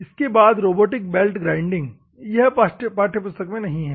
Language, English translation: Hindi, Then, robotic belt grinding, this is not there in the textbook